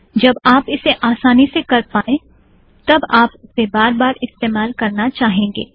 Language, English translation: Hindi, Once you are comfortable you may keep using it repeatedly